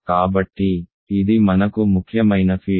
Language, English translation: Telugu, So, this is an important field for us